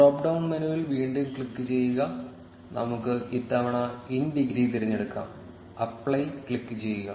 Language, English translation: Malayalam, Click on the drop down menu again, and let us select in degree this time, click on apply